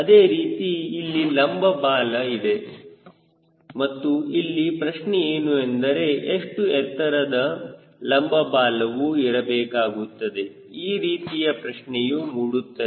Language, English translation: Kannada, similarly, you have got vertical tail and question always comes how high the vertical tail should be flight